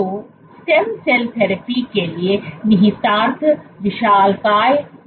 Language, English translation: Hindi, So, the implication for stem cell therapy is humongous